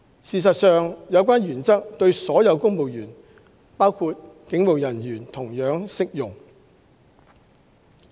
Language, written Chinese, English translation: Cantonese, 事實上，有關原則對所有公務員，包括警務人員，同樣適用。, In fact the concerned principles apply to all civil servants including police officers